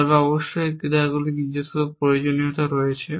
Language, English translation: Bengali, But off course, these actions have their own requirements